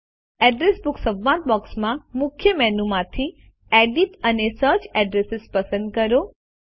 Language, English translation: Gujarati, From the Main menu in the Address Book dialog box, select Edit and Search Addresses